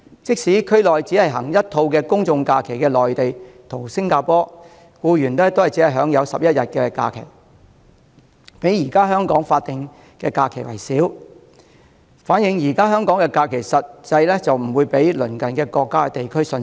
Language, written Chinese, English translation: Cantonese, 即使在區內只實行一套公眾假期的內地和新加坡，僱員亦只享有11天假期，較現時香港的法定假日為少，反映現時香港的假期實際不較鄰近國家或地區遜色。, In places which only have general holidays such as Mainland China and Singapore employees are only entitled to 11 days of holidays which are fewer than the number of statutory holidays in Hong Kong . The information shows that holiday entitlement of Hong Kong is in fact not inferior to our neighbouring countries or regions